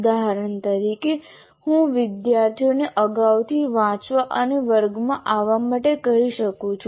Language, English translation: Gujarati, For example, I can ask the students to read in advance and come to the class